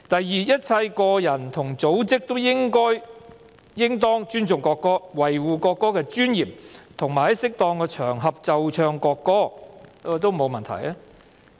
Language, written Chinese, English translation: Cantonese, "2 一切個人和組織都應當尊重國歌，維護國歌的尊嚴，並在適宜的場合奏唱國歌"，這也沒有問題。, 2 All individuals and organizations should respect the national anthem preserve the dignity of the national anthem and play and sing the national anthem on appropriate occasions which is also fine